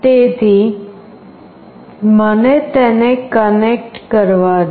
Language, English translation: Gujarati, So, let me connect it